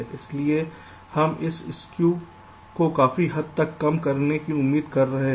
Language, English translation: Hindi, so we are expecting to reduce this cube to a great extent